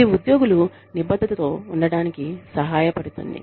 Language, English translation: Telugu, This helps the employees, remain committed